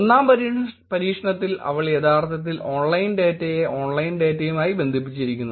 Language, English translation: Malayalam, In experiment one, they actually connected the online data to the online data